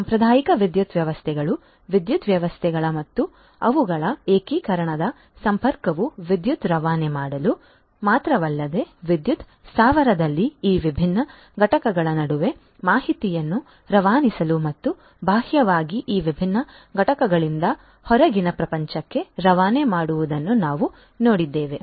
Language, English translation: Kannada, We have seen that traditional electrical systems, power systems and their integration connectivity not only to transmit electricity, but also to transmit information between these different components in a power plant and also externally from these different components to the outside world